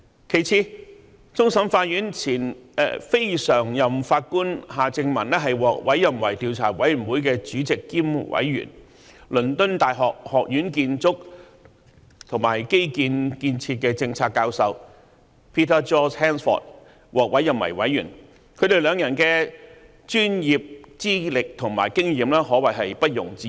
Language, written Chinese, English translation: Cantonese, 其次，終審法院前非常任法官夏正民獲委任為調查委員會的主席兼委員、而倫敦大學學院建築和基建建設的政策教授 Peter George HANSFORD 則獲委任為委員，他們兩人的專業資歷及經驗可謂毋庸置疑。, Second Mr Justice Michael John HARTMANN former Non - Permanent Judge of the Court of Final Appeal has been appointed Chairman and Commissioner of the Commission and Prof Peter George HANSFORD Professor of Construction and Infrastructure Policy at University College London has been appointed as Commissioner . The professional qualifications and experience of these two persons are indisputable